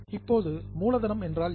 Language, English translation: Tamil, Now, what is a capital